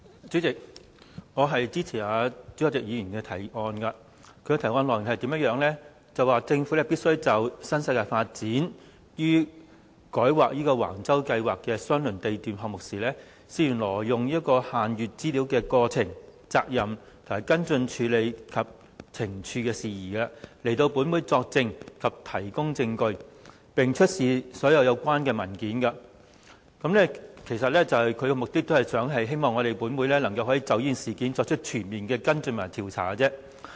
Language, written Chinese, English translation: Cantonese, 主席，我支持朱凱廸議員的議案。議案的內容是政府必須就新世界發展有限公司於改劃橫洲公共房屋發展計劃相鄰地段項目時，涉嫌挪用限閱資料之過程、責任、跟進處理及懲處事宜，前來本會作證及提供證據，並出示所有相關文件。他的目的是希望本會能夠就這事件作出全面的跟進和調查。, President I support Mr CHU Hoi - dicks motion which seeks to oblige the Government to appear before this Council to testify or give evidence and to produce all relevant documents in relation to the happenings culpability follow - up actions and punitive matters pertaining to the alleged illegal use of restricted information by the New World Development Company Limited NWD during its application for rezoning a land lot near the site of the Public Housing Development Plan at Wang Chau in the hope that this Council can follow up and investigate this incident in a comprehensive manner